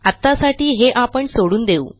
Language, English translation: Marathi, We will skip this for now